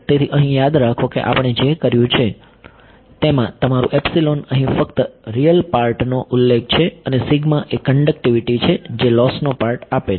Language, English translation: Gujarati, So, remember here in what we have done your epsilon here is referring only to the real part and sigma is the conductivity that is giving the loss part